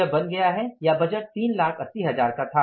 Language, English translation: Hindi, This has become or the budgeted was 3,000000s